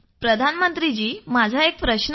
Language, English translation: Marathi, Prime Minister I too have a question